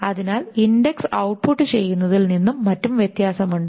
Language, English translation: Malayalam, So, there is a difference between just outputting the index, etc